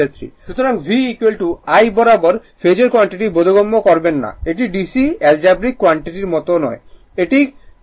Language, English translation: Bengali, So, V is equal to do not putting I again and again phasor quantity understandable it is not like a dc algebraic sum do not do it